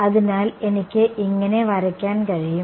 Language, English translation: Malayalam, So, I can draw like this